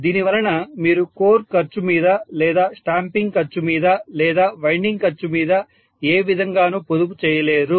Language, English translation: Telugu, So because of which you may not be able to save on the core cost or the stamping cost or even the winding cost in all probability